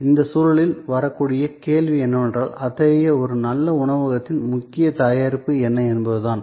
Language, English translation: Tamil, The question that can come up in that context is, but what exactly is the core product of such a good restaurant